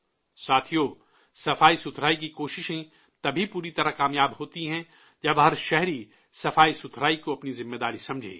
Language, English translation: Urdu, the efforts of cleanliness can be fully successful only when every citizen understands cleanliness as his or her responsibility